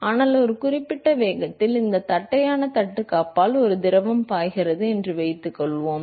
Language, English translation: Tamil, But supposing if there is a fluid which is flowing past this flat plate at a certain velocity